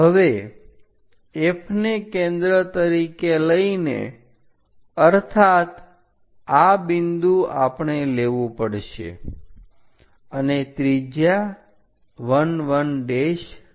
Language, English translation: Gujarati, Now, with F as centre; that means, this point we have to take and radius 1 1 dash